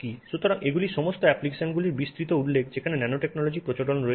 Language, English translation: Bengali, So, these are all a wide range of applications where nanotechnology has become prevalent